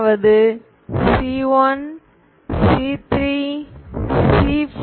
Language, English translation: Tamil, So you go up to C1, C3, C5